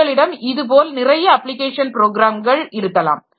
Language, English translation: Tamil, So, you can have many more such application programs